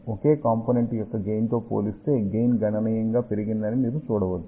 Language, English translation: Telugu, You can see that the gain has increased significantly compared to the gain of a single element